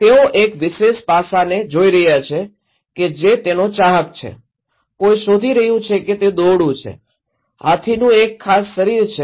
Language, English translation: Gujarati, They are looking one particular aspect is a fan, someone is looking it is a rope, a particular body of the elephant